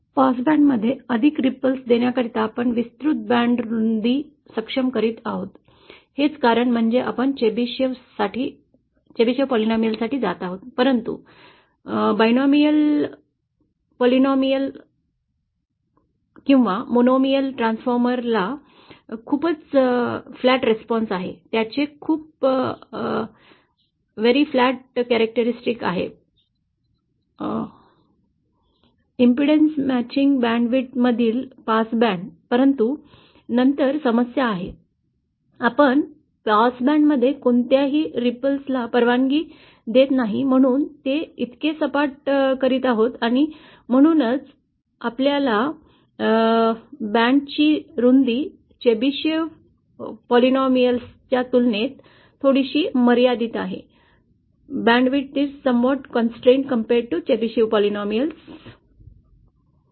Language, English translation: Marathi, So for providing for more ripples in the past band we are enabling a wider band width, that is the reason we go for Chebyshev polynomial, but the binomial, polynomial or the monomial transformer has a very flat response, has a very flat characteristic of the past band in the impudence matching band width, but then the problem is because we are making it so flat we are not allowing any ripple in the past band, and that’s why our band width is somewhat constrained as compared to a Chebyshev polynomial